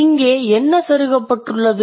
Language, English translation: Tamil, And what are you inserting into it